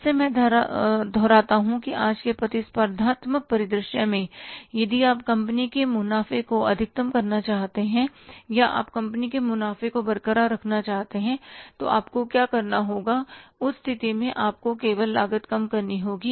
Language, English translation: Hindi, Again, I repeat that in today's competitive scenario, if you want to maximize the profits of the company or you want to keep the profit of company intact, so what you will have to do